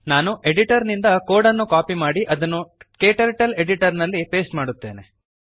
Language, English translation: Kannada, Let me copy the code from editor and paste it into KTurtles editor